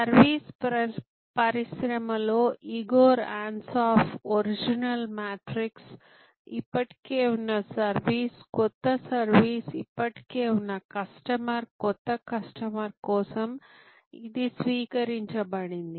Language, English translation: Telugu, This is the adopted for the service industry Ansoff, Igor Ansoff original matrix and existing service new service; existing customer, new customer